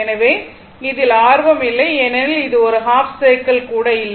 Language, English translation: Tamil, So, that is not interested or even a half cycle